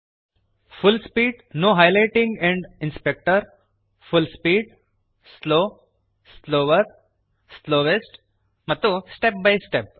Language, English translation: Kannada, Full speed Full speed, slow, slower, slowest and step by step